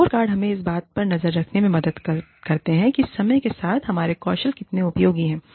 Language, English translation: Hindi, The scorecards, help us keep track of, how valid, how useful, our skills are, over a period of time